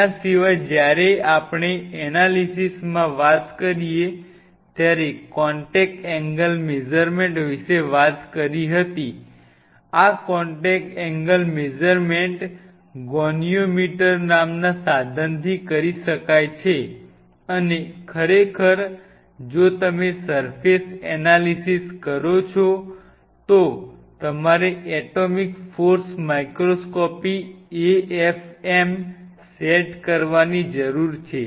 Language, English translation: Gujarati, Apart from it when we talked about in the analysis we talked about contact angle measurements, this contact angle measurements could be done with the instrument called goniometer and of course, atomic force microscopy you need an afm set up if you do the surface analysis